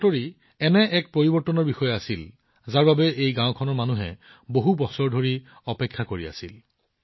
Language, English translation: Assamese, This news was about a change that the people of this village had been waiting for, for many years